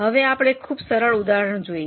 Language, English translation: Gujarati, Now let us look at a very simple illustration